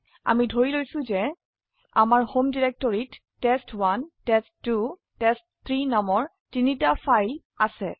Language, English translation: Assamese, We assume that we have three files named test1 test2 test3 in our home directory